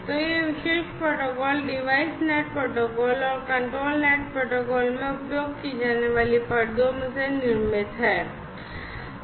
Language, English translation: Hindi, So, this particular protocol is constructed from layers used in the device net protocol and the control net protocol